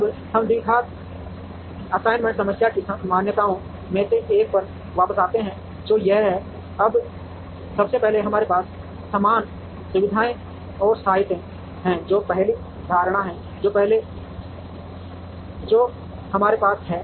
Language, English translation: Hindi, Now, let us come back to one of the assumptions of the quadratic assignment problem which is this, now first of all we have an equal number of facilities and sites that is the first assumption that we have